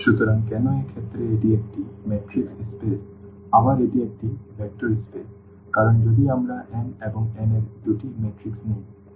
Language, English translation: Bengali, So, why in this case it is a matrix space again this is a vector space because if we take two matrices of what are m and n